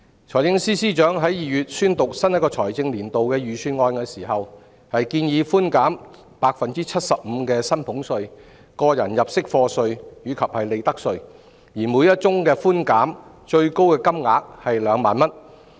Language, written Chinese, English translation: Cantonese, 財政司司長在2月宣讀新一個財政年度的預算案時，建議寬減 75% 的薪俸稅、個人入息課稅及利得稅，而每宗寬減的最高金額為2萬元。, In presenting the Budget for the coming financial year in February the Financial Secretary proposed to reduce salaries tax tax under personal assessment and profits tax by 75 % subject to a ceiling of 20,000 per case